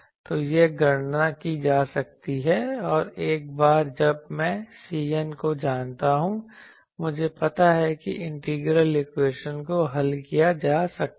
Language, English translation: Hindi, So, this can be computed and once I know C n, I know the integral equation can be solved